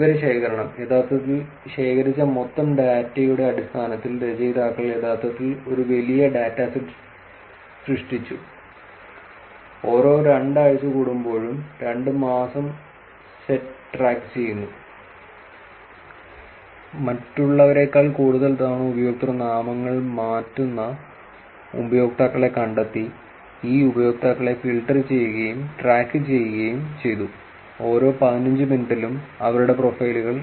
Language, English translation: Malayalam, Data collection, so in terms of actually the total data that was collected, the authors actually created a large seed data set, track the seed set of for two months every fortnight, find users who change usernames more often than others, filtered theses users and track their profiles every 15 minutes